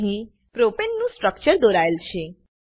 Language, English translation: Gujarati, Lets first draw the structure of propane